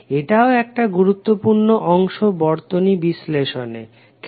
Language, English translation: Bengali, This is also one of the important component in our circuit analysis